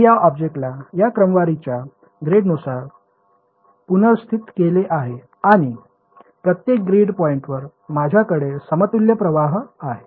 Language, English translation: Marathi, I have replace this object by grade of this sort, and at each grid point I have an equivalent current